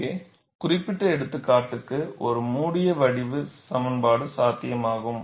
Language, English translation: Tamil, For this specific example, a closed form expression is possible